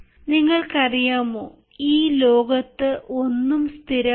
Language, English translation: Malayalam, you know, nothing in this world is fixed